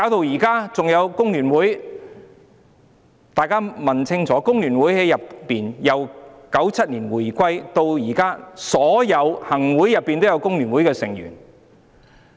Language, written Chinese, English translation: Cantonese, 還有工聯會，大家問清楚工聯會吧，由1997年回歸至今，每一屆行政會議都有工聯會的成員。, And the Federation of Trade Unions FTU―you all know FTU dont you? . Since the reunification in 1997 there have been Members from FTU in every term of the Executive Council